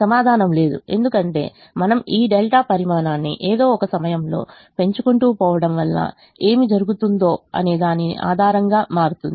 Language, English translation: Telugu, the answer is no, because as we keep on increasing this delta quantity, at some point what will happen is the, the bases will change